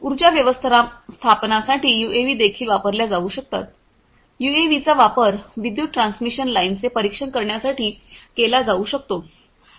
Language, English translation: Marathi, For energy management also UAVs could be used; UAVs could be used to monitor the power transmission lines